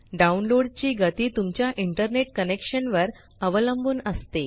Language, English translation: Marathi, The download speed depends on your internet connection